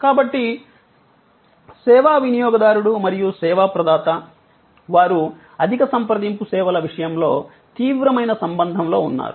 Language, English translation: Telugu, So, the service consumer and the service provider, they are in intense contact in case of high contact services